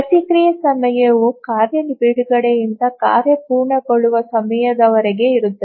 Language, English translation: Kannada, The response time is the time from the release of the task till the task completion time